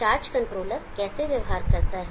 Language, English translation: Hindi, How does the charge controller behave, how does the charge controller function